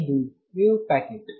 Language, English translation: Kannada, This is a wave packet